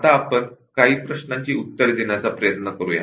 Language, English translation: Marathi, Now, let us try to answer few questions